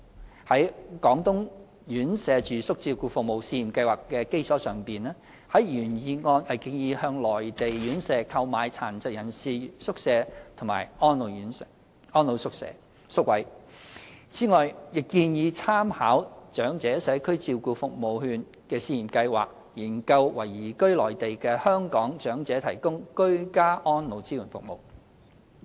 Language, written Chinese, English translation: Cantonese, 原議案建議在"廣東院舍住宿照顧服務試驗計劃"的基礎上，向內地院舍購買殘疾人士宿位和安老宿位，此外，亦建議參考"長者社區照顧服務券試驗計劃"，研究為移居內地的香港長者提供居家安老支援服務。, As proposed in the original motion the Government may purchase from Mainland residential care homes residential care places for persons with disabilities and for the elderly on the basis of the Pilot Residential Care Services Scheme in Guangdong . Moreover the motion suggests conducting a study on providing elderly persons who have moved to the Mainland with support services for ageing in place by drawing reference from the Pilot Scheme on Community Care Service Voucher for the Elderly